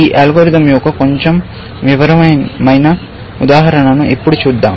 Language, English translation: Telugu, Let us now look at a slightly more detailed example of this algorithm